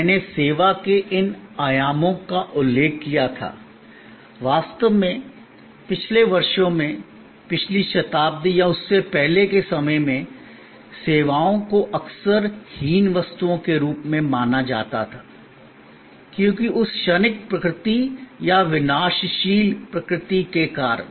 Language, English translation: Hindi, I had mentioned these dimensions of service in passing, in fact, in the earlier years, may be in the last century or earlier, services were often considered as sort of inferior goods, because of that transient nature or perishable nature